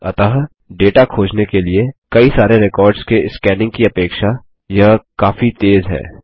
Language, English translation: Hindi, And so it is considerably faster than scanning through all of the records to find the data